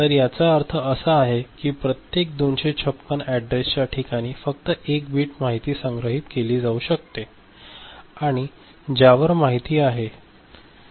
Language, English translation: Marathi, So, that means, 256 addresses are there in each address location only 1 bit information can be stored, on which information is there